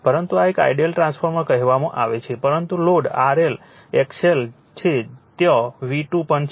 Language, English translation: Gujarati, but this is an your what you call, but this is an ideal transformer but load R L, X L is there V 2 is also there